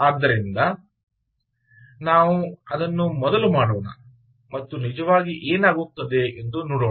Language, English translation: Kannada, so lets do that and see what actually happens